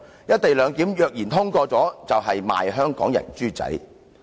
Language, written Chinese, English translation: Cantonese, "一地兩檢"若然通過，就是"賣香港人豬仔"。, If the co - location arrangement is passed it is selling out the people of Hong Kong